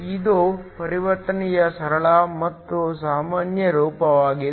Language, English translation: Kannada, That is the simplest and most common form of transition